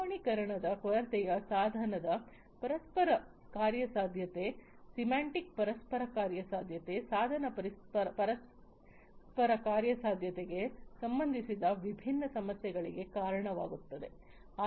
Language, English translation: Kannada, So, lack of standardization leads to different issues related to device interoperability, semantic interoperability device interoperability is understood